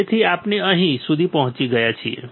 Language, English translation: Gujarati, So, we have reached until here